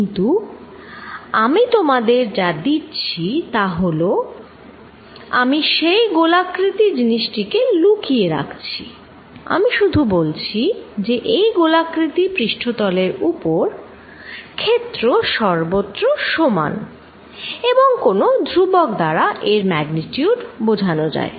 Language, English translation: Bengali, But, what I give you is I hide that spherical body, I give you that on this surface the field is all the same on this spherical surface and it is magnitude is given by some constant